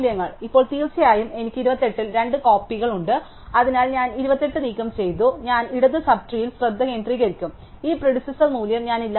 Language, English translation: Malayalam, Now of course, I have two copies at 28, so I am was remove that 28, so then I will focus on the left sub tree and I delete this predecessor value